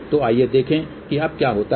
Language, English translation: Hindi, So, let us see what happens now